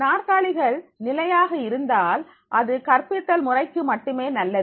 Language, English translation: Tamil, If the chairs are fixed that that is only good for the teaching pedagogy